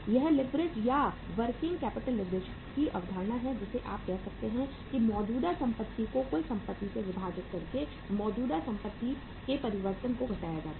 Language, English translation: Hindi, This is the concept of the leverage or the working capital leverage which you can say that current assets divided by the total assets minus change in the current asset